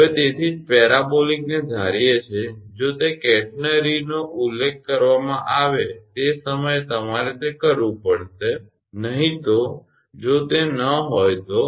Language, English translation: Gujarati, So, that is why assuming parabolic, if it is mentioned catenary, at that time you have to do that otherwise if it is not